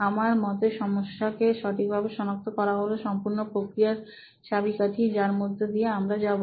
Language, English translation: Bengali, I think identification of the right problem is the key for the entire process what we will be going through